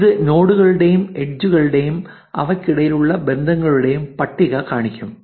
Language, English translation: Malayalam, This will show you the list of the nodes, edges and the relationships between them